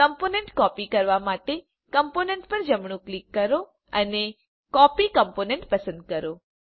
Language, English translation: Gujarati, To copy a component, right click on the component and choose Copy Component